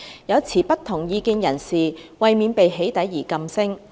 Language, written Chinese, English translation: Cantonese, 有持不同意見人士為免被起底而噤聲。, Some persons holding different views have silenced themselves to avoid being doxxed